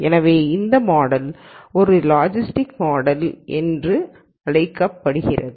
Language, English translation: Tamil, So, this model is what is called a logit model